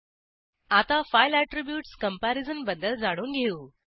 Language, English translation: Marathi, Now, lets learn about the file attributes comparison